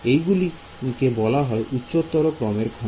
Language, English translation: Bengali, Right those are called higher order elements